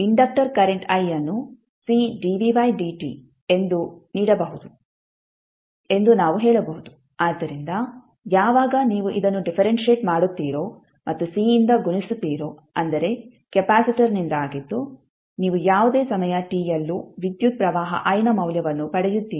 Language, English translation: Kannada, We can say inductor current i can be given as C dv by dt, so when you differentiate this and multiply by C that is the capacitor you will get the value of current i at any time t also